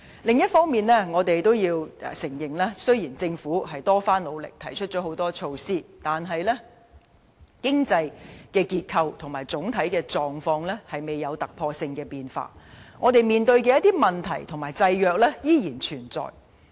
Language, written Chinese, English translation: Cantonese, 另一方面，我們亦要承認，雖然政府多番努力提出很多措施，但經濟結構及整體狀況仍未有突破性變化，我們面對的一些問題和限制仍然存在。, On the other hand we also have to admit that measures proposed by the Government still fail to make any breakthrough in economic structure and overall situation . Many problems and restrictions still exist